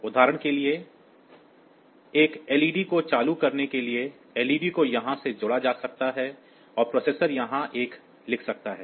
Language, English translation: Hindi, For example, for turning on one LED, the LED may be connected from here and the processor may write a one here